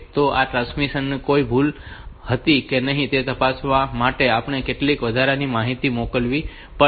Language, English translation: Gujarati, So, we have to have some additional information sent to check at the receiver whether this transmission had some error or not